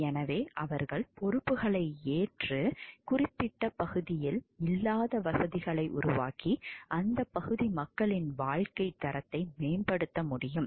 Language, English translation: Tamil, So, that they can take up the responsibilities and create facilities which are lacking in that particular area which could improve the quality of life of people of that area